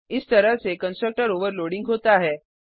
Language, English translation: Hindi, This is how constructor overloading is done